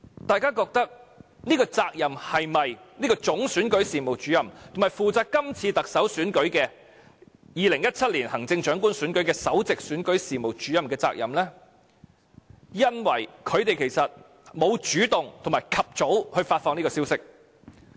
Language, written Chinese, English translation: Cantonese, 大家覺得這是否總選舉事務主任，以及負責2017年行政長官選舉的首席選舉事務主任的責任呢？因為他們沒有主動和及早發放這個消息。, Do you think the Chief Electoral Officer and the Principal Electoral Officer who took charge of the 2017 Chief Executive Election should take the responsibility for not taking the initiative to report the incident early?